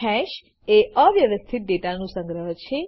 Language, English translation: Gujarati, Note: Hash is an unordered collection of data